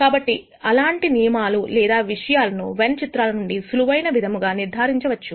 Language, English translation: Telugu, So, such rules or things can be proved by using Venn Diagrams in a simple manner